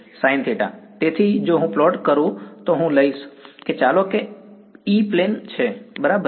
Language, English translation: Gujarati, Sin theta right; so, if I plot if I take let us say the E plane ok